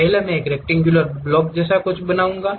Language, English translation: Hindi, First I will make something like a rectangular block